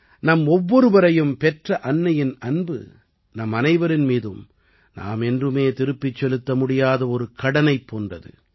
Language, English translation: Tamil, This love of the mother who has given birth is like a debt on all of us, which no one can repay